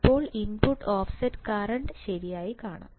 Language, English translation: Malayalam, Now, let us see input offset current input offset current alright